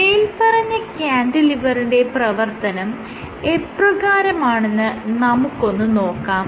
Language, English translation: Malayalam, Now, let us see how does the cantilever operate